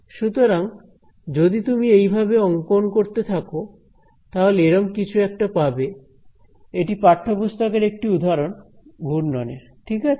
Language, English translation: Bengali, So, you can keep drawing this you are going to get a something like this; this is a textbook example of a swirl right